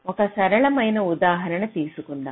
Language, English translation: Telugu, just take an example